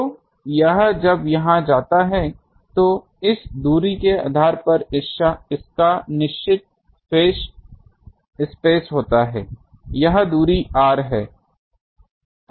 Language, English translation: Hindi, So, this one when it goes here, it has certain phase space depending on these distance, let us say this distance is r